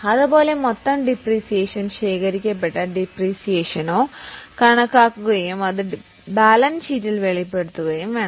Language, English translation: Malayalam, Like that, the total depreciation or accumulated depreciation is calculated and it is to be disclosed in the balance sheet